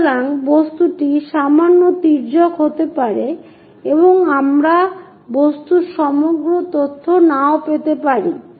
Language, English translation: Bengali, So, the object might be slightly skewed and we may not get entire information about the object